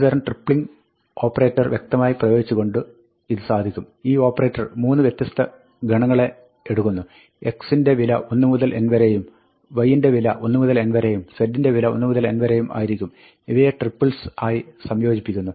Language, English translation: Malayalam, This is also implicitly applying a kind of a tripling operator; it takes 3 separate sets, x from 1 to n, y from 1 to n, z from 1 to n, combines them into triples